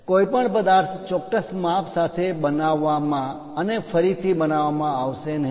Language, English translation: Gujarati, No object will be made with precise size and also shape in a repeated way